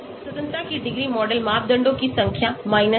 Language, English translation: Hindi, Degrees of freedom, the number of model parameters 1